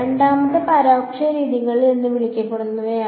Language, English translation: Malayalam, The second is what are called indirect methods right